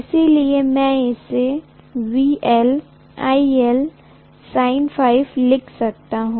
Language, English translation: Hindi, So I can write this as VL IL sine phi